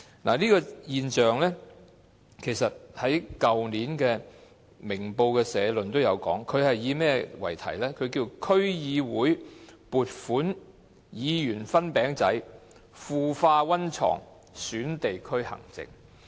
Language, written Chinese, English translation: Cantonese, 《明報》的社論去年曾論述這種現象，該篇社論題為"區會撥款議員分餅仔腐化溫床損地區行政"。, Last year the editorial of Ming Pao Daily News Ming Pao commented on this phenomenon . The title of the editorial was Community involvement funds may breed corruption